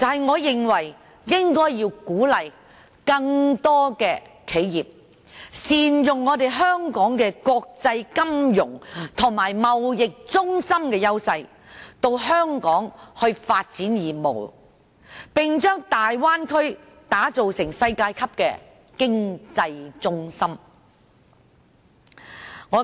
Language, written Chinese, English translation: Cantonese, 我認為應該鼓勵更多企業善用香港國際金融及貿易中心的優勢，前來香港發展業務，並把大灣區打造成世界級的經濟中心。, I think the authorities should encourage more enterprises to develop business in Hong Kong and build the Bay Area into a world - class economic centre by capitalizing on Hong Kongs advantages as an international financial and trade centre